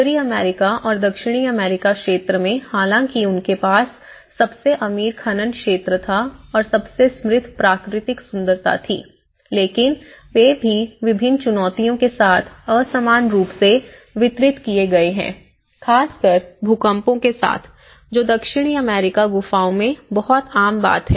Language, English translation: Hindi, Within the North American region and in South American though they have the richest mining sector and the richest natural beauty but they also have been unequally distributed with various challenges especially, with the earthquakes which is very common in South American caves